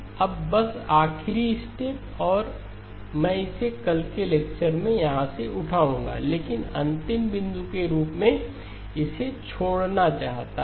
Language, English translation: Hindi, Now just the last step and I will pick it up from here in in tomorrow's lecture but just wanted to leave this as the last point